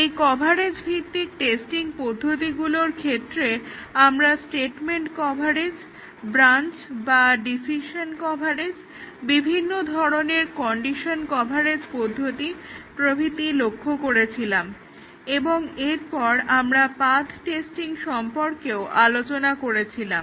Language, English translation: Bengali, In the coverage based testing techniques, we looked at statement coverage branch or decision coverage, various conditions coverage techniques and then, we had also looked at path testing